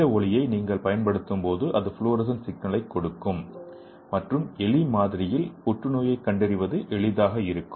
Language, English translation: Tamil, When you apply this light it will give the fluorescence signal and it will be easy for diagnosing the cancer in the mouse model